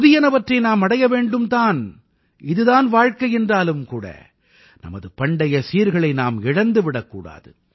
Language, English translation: Tamil, We have to attain the new… for that is what life is but at the same time we don't have to lose our past